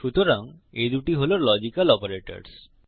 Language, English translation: Bengali, So these are the two logical operators